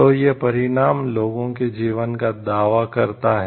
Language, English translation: Hindi, So, that consequence claiming the lives of the people